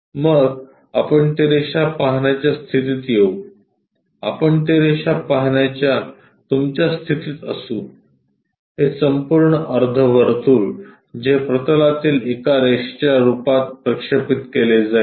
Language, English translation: Marathi, Then we will be in a position to see that line, we will be in your position to see that line, this entire semi circle that will be projected as one line on a plane